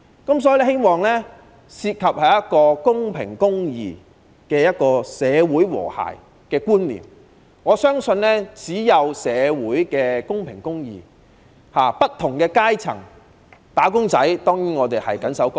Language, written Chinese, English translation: Cantonese, 我希望制度涉及公平公義的社會和諧觀念，我相信只要社會達至公平和公義，不同階層的"打工仔"當然便會緊守崗位。, I wish that the system can incorporate the concept of social harmony with fairness and justice . I believe that as long as social fairness and justice can be achieved employees of various strata will stand fast at their posts . A large proportion of social wealth is hard - earned by employees